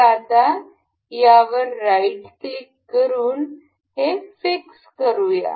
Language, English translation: Marathi, So, now, we can fix this one right click on this, fixed